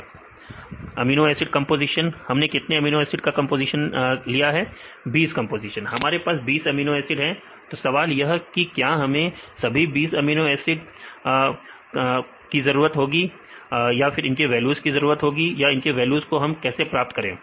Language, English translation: Hindi, 20 composition we have 20 amino acid residues your 20 compositions; now the question is whether we need all the 20 amino acid composition to get this values